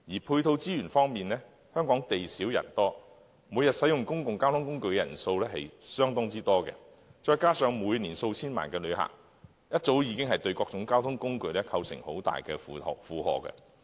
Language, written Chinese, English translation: Cantonese, 配套資源方面，香港地小人多，每天使用公共交通工具的人數極多，加上每年數千萬名旅客，早已對各種交通工具構成相當大的負荷。, In respect of the supporting resources as Hong Kong is a densely populated city with limited space a large number of people use various modes of public transport every day and coupled with tens of millions of visitors each year the public transport systems have to bear a very heavy passenger load